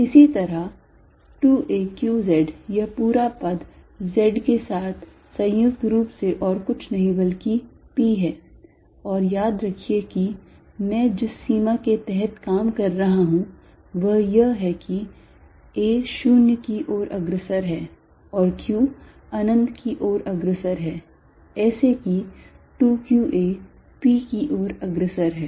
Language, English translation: Hindi, Similarly, 2 a q z this whole term combined with z is nothing but p and remember I am taking the limit that I am working under is that a goes to 0 and q goes to infinity, such that 2 q a goes to p